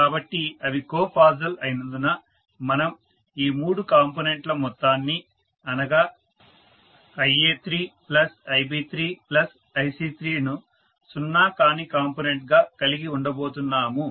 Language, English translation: Telugu, So, because they are co phasal we are going to have the sum of these three components that is I a3 plus I b3 plus I c3 is a non zero component